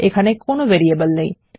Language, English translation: Bengali, We have got no variable here